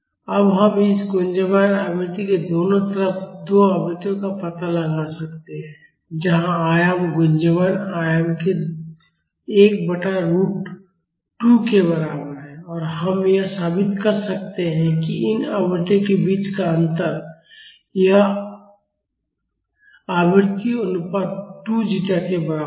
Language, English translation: Hindi, Now we can find out two frequencies on either side of this resonant frequency where the amplitude is equal to 1 by root 2 of the resonant amplitude and we can prove that the difference between these frequencies these frequency ratios is equal to 2 zeta